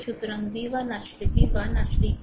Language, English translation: Bengali, So, v 1 actually v 1 actually is equal to v